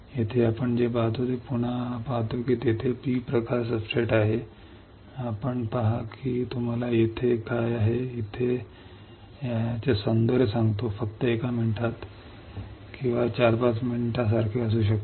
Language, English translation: Marathi, Here what we see we again see that there is a P type substrate, you see I will tell you the beauty of what is here and what is here in just one minute or may be like 4 to 5 minutes